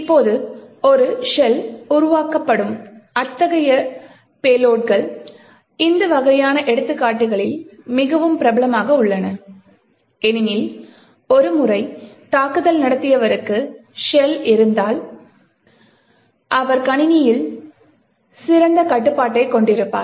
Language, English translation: Tamil, Now, such payloads where a shell is created is very popular in this kind of examples because once an attacker has a shell, he has quite a better control on the system